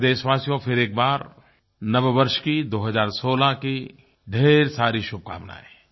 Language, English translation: Hindi, Dear Countrymen, greetings to you for a Happy New Year 2016